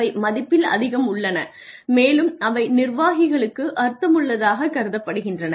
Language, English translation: Tamil, And they are much more in value and they are perceived to be much more meaningful for the executives